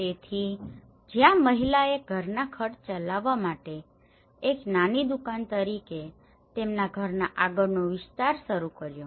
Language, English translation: Gujarati, So, where the woman have started expanding their house front as a small shop to run the family expenses